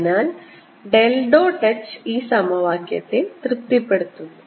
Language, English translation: Malayalam, so del dot h satisfies this equation